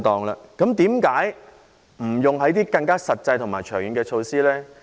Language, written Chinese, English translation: Cantonese, 為何不採用更實際及更長遠的措施呢？, Why does it not adopt more practical and longer - term measures?